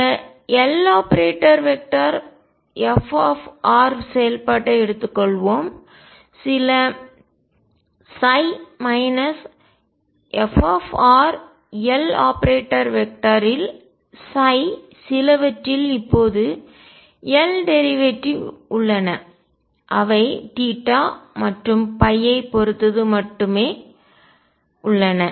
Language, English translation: Tamil, Let us take this L f r operating on say some psi minus f r L operating on some psi now L has derivatives with respect to theta and phi only